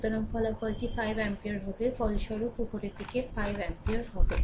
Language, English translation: Bengali, So, resultant will be your 5 ampere right; resultant will be 5 ampere upward